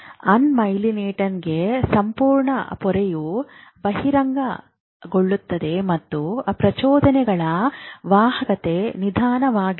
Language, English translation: Kannada, In unmalionated, the entire membrane is exposed and impulses conduction is slower